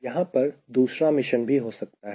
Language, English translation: Hindi, the mission two that could be here